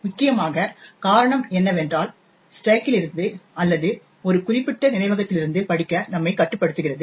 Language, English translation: Tamil, Essentially the reason is that we are restricting ourselves to reading from the stack or from a given segment of memory